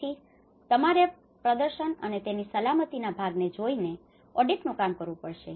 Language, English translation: Gujarati, So, in that way, you have to look at the performance and the safety part of it